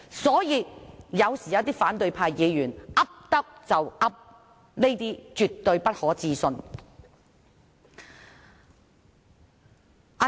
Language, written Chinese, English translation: Cantonese, 所以，一些反對派議員有時候胡說八道，是絕不可信的。, Thus one should definitely not be deceived by the nonsense remark made by some opposition Members